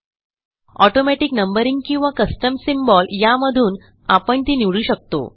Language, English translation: Marathi, You can choose between automatic numbering or a custom symbol